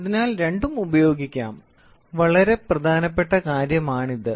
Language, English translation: Malayalam, So, both can be used, very important point